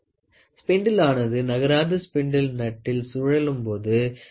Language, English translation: Tamil, The spindle moves as it rotates in a stationary spindle nut